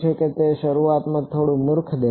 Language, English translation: Gujarati, So, it will look a little silly at first